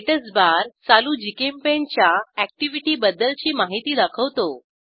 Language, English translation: Marathi, Statusbar displays information about current GChemPaint activity